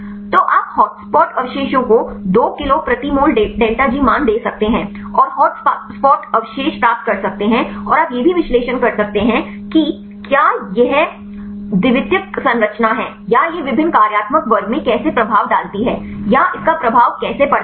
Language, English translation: Hindi, So, you can get the hotspot residues giving the value of 2 kilocal per mole delta G values and get the hot spot residues and you can also analyze whether this is secondary structure or how it effect in the different functional class or how it effect with the location of residues for example, you can see accessible surface area and so on right